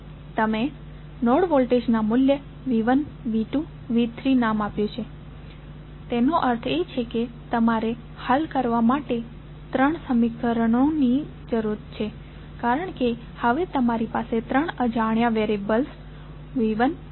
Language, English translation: Gujarati, You have assign the value of node voltages as V 1, V 2 and V 3 that means you need three equations to solve because you have now three unknowns V 1, V 2 and V 3